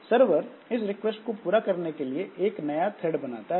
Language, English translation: Hindi, So, so what the server does is that it creates a new thread to service that request